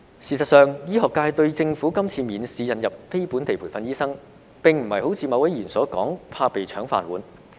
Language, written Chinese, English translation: Cantonese, 事實上，醫學界對政府今次免試引入非本地培訓醫生，並非如某位議員所說，怕被"搶飯碗"。, In fact regarding the Governments proposal of the examination - free admission of NLTDs this time a certain Member has said that the medical profession fear that our rice bowls may be snatched away but we feel differently